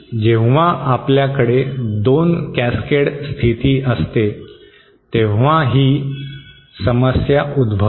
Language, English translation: Marathi, This problem arises specially when we have 2 cascade status